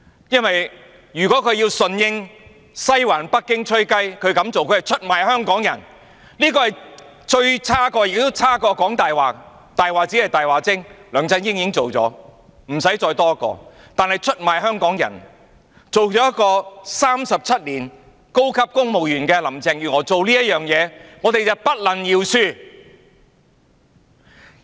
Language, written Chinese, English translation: Cantonese, 如果她要順應西環北京"吹雞"，她這樣做是出賣香港人，這是最差的，較"講大話"更差，"講大話"只是"大話精"，梁振英已經做了，無須再多一個；但出賣香港人，一個做了37年高級公務員的林鄭月娥這樣做，我們便不能饒恕。, If she has to answer the whistle blown by the Western District and Beijing she would betray Hong Kong people in so doing and this would be the worst and even worse than lying . One who lies is just a big liar and LEUNG Chun - ying has already taken up that niche . We do not need another one of his kind